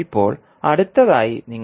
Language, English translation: Malayalam, Now, next what you have to do